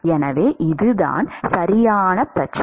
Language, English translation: Tamil, So, this is the correct problem